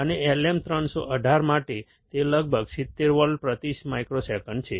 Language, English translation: Gujarati, And for LM318, it is about 70 volts per microsecond